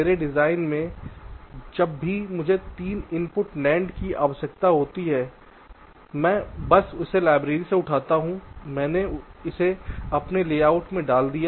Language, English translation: Hindi, so in my design, whenever i need a three input nand, i simply pick it up from the library, i put it in my layout